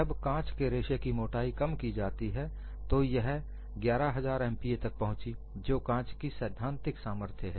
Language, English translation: Hindi, When the thickness of the fiber is reduced, it was approaching 11000 MPa that is a theoretical strength of glass